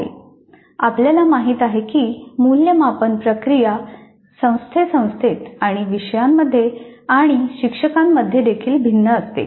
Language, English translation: Marathi, We know that the assessment process varies considerably from institute to institute and from course to course and from instructor to instructor also